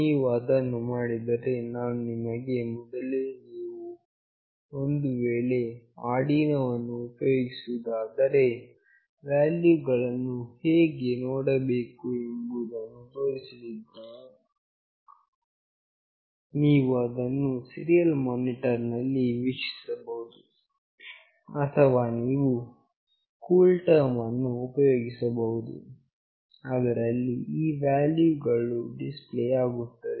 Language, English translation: Kannada, When you do it, I have already shown you that how you will be looking into the values, if you use Arduino, you can see it in the serial monitor; else you use CoolTerm where all these values will get displayed